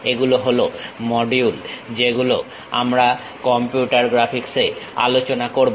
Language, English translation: Bengali, These are the modules what we will cover in computer graphics